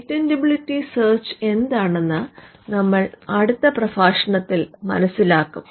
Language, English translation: Malayalam, In the next lecture we will see what is a patentability search